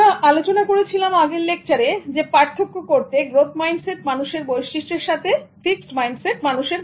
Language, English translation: Bengali, We also discussed in the previous lesson about the distinguishing traits of growth mindset people in comparison and contrast with those people who have fixed mindset